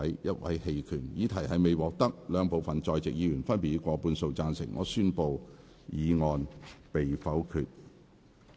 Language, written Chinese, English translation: Cantonese, 由於議題未獲得兩部分在席議員分別以過半數贊成，他於是宣布議案被否決。, Since the question was not agreed by a majority of each of the two groups of Members present he therefore declared that the motion was negatived